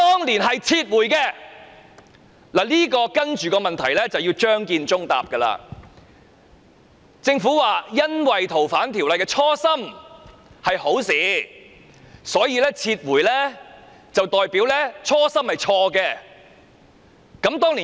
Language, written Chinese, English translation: Cantonese, 我下一個問題需要張建宗回答，政府說由於修訂《逃犯條例》的初心是好事，撤回便代表其初心是錯的。, My next question is put to Matthew CHEUNG . According to the Government as the original intent to amend the Fugitive Offenders Ordinance was good withdrawing the Bill would imply that that original intent was wrong